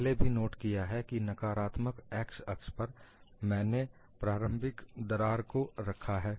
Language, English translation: Hindi, And we have already noted, on the negative x axis, I put the initial crack